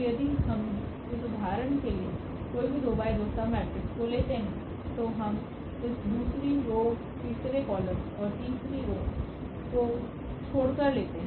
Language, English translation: Hindi, So, if we take any this 2 by 2 submatrix for example, we take this one by leaving this second row third column and the third row